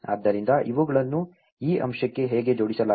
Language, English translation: Kannada, So, that is how these are linked into this aspect